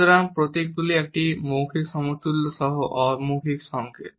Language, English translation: Bengali, So, emblems are nonverbal signals with a verbal equivalent